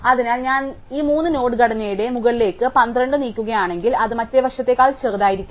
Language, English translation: Malayalam, So, if I move 12 to the top of this three node structure, it cannot be smaller than other side